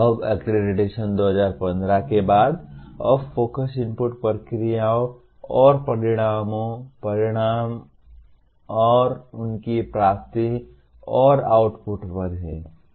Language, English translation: Hindi, Now, accreditation post 2015, the focus now is on inputs, processes and outcomes, outcomes and their attainment and outputs